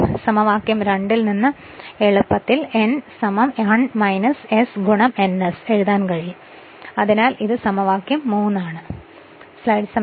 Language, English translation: Malayalam, So, from equation 2 easily you can write n is equal to 1 minus s into n s so this is equation 3